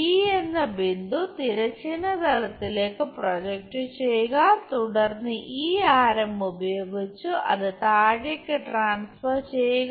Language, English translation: Malayalam, Project D on to horizontal plane, then use this radius transfer that all the way down